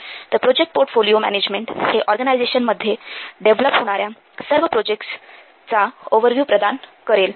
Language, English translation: Marathi, So, this project portfolio management, it provides an overview of all the projects that an organization is undertaking